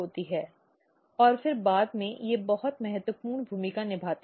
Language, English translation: Hindi, And then later on they play very important role